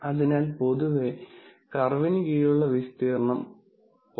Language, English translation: Malayalam, So, in general, if the area under the curve is between 0